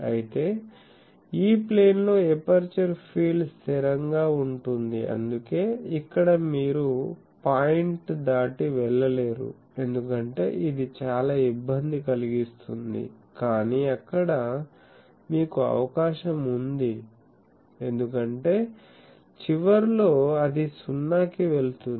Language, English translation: Telugu, Whereas, in the E Plane the aperture field is constant so, that is why here you cannot go beyond a point, because then you will disturb much, but there you have a chance because at the ends it is going to 0